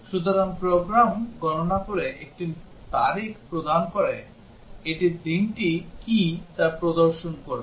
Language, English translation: Bengali, So, the program computes given a date it would display what is the day